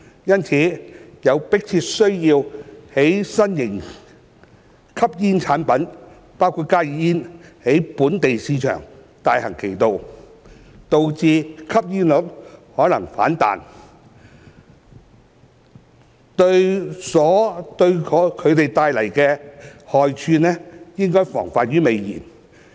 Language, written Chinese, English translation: Cantonese, 因此，有迫切需要在新型吸煙產品在本地市場大行其道，導致吸煙率可能反彈前，對其所帶來的害處防患於未然。, Hence there is a pressing need to prevent the harm of any new classes of smoking products including HTPs from taking root in the local market which may in turn result in a rebound in smoking prevalence